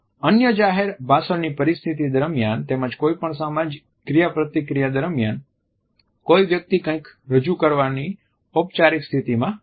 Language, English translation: Gujarati, During other public speech situations as well as during any social interaction where one is in a formal position presenting something